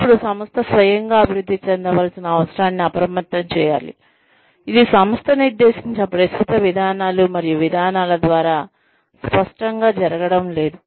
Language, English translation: Telugu, Then, the organization should be alerted, to their need, for self advancement, which is clearly not happening, through the current policies and procedures, laid down by the organization itself